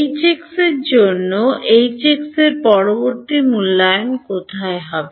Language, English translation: Bengali, For H x where will the next evaluation of H x be